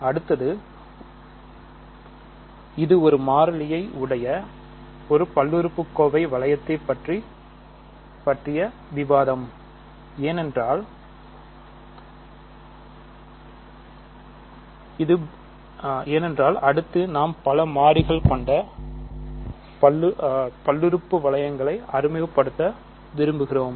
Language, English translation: Tamil, The next, so this is our discussion about polynomial ring in 1 variable because I want to introduce now polynomial rings in several variables